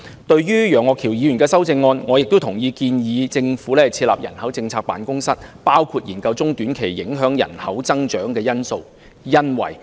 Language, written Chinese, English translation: Cantonese, 對於楊岳橋議員的修正案，我亦同意建議政府設立人口政策辦公室，包括研究各項中短期影響人口增長的因素。, As for Mr Alvin YEUNGs amendment I also agree that the Government should establish an office of population policy and its areas of work should include examining various factors affecting population growth in the short and medium term